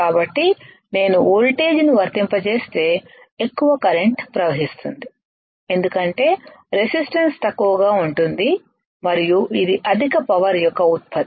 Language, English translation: Telugu, So, if I apply voltage right high current will flow because the resistance is less and this one is generation of high power